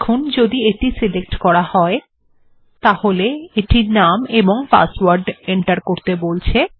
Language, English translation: Bengali, So now if I choose this, It will come and say, give the name and password